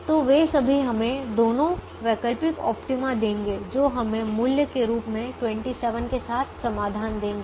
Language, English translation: Hindi, the alternate optima would give us solutions with twenty seven as the value